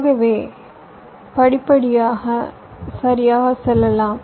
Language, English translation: Tamil, so step by step you can go right